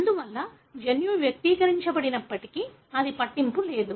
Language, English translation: Telugu, Therefore, even if the gene is not expressed it doesn’t matter